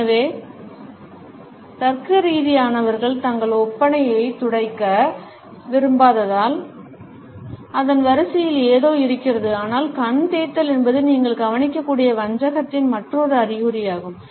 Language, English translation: Tamil, So, logical as they do not want to smudge their makeup, there is something along the lines of that, but the eye rub is yet another sign of deceit that you can look out for